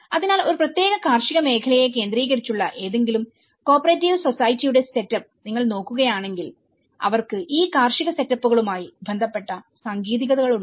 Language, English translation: Malayalam, So, if you look at the setup of any cooperative society which is focused on a particular agricultural sector, they were having the technicality with relation to the agricultural setups